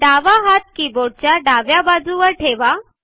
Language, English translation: Marathi, On your keyboard place your left hand, on the left side of the keyboard